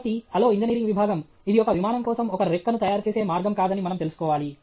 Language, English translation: Telugu, So, then, hello engineering department, we should know that this is not the way to make a wing okay for an airplane